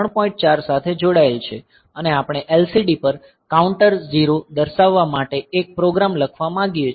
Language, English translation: Gujarati, 4 and we want to write a program to display counter 0 on an LCD